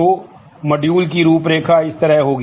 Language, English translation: Hindi, So, the module outline would be like this